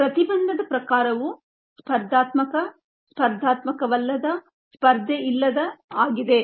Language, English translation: Kannada, the type of inhibition is competitive, noncompetitive, uncompetitive